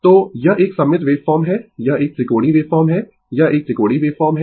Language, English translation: Hindi, So, it is a symmetrical waveform this is a triangular wave form this is a triangular wave form